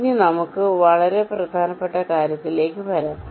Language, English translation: Malayalam, ok, now let us come to this very important thing